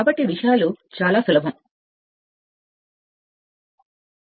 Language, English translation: Telugu, So, things are quite simple, things are quite simple